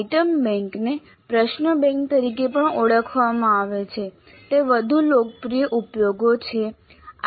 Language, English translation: Gujarati, Now as I mentioned item bank is also known as question bank that's a more popular usage actually